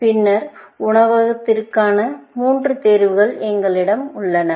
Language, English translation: Tamil, Then, we have the three choices for the restaurant